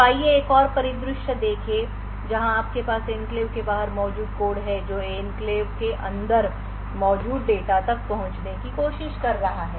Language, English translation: Hindi, So, let us see another scenario where you have code present outside the enclave trying to access data which is present inside the enclave